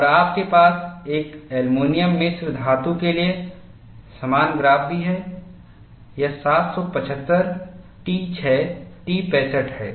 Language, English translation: Hindi, And you also have a similar graph for an aluminum alloy; this is 7075t6t65